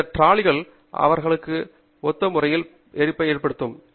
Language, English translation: Tamil, Those trolleys will have an identical arrangement in them